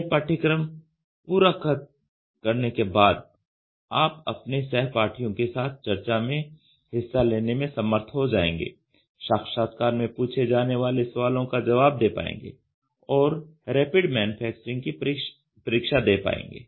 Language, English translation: Hindi, Upon completion of this course, you will be able to participate in a discussion with your peers, cater the interview questions and take an examination on Rapid Manufacturing